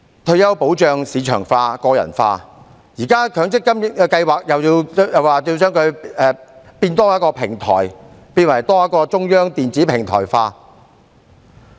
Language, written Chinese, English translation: Cantonese, 退休保障市場化、個人化，現在強積金計劃又多設一個平台，將之變為中央電子平台。, With retirement protection being market driven and personalized an additional platform which turns out to be a centralized electronic platform is now set up for MPF schemes